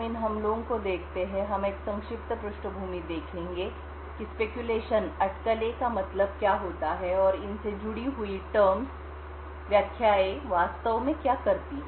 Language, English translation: Hindi, So before we go into what these attacks are, so let us have a brief background into what speculation means and what these terms connected to speculation actually do